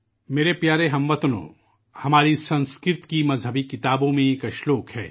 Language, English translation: Urdu, My dear countrymen, there is a verse in our Sanskrit texts